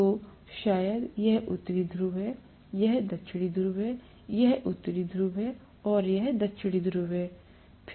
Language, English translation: Hindi, So maybe this is North Pole, this is South Pole, this is North Pole and this is South Pole